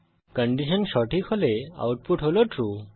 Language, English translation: Bengali, As we can see, the output is True